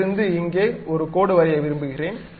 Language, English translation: Tamil, I would like to draw a line from here to here to here